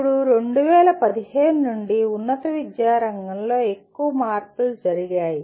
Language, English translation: Telugu, Now, since 2015 there have been major changes in the field of higher education